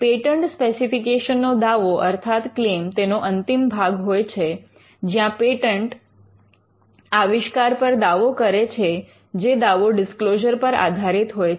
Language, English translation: Gujarati, The claim of a patent specification is the concluding part of the patent specification, where a patent, an invention is claimed and claim should itself be based on the matter disclosed